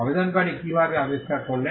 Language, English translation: Bengali, How did the applicant give the invention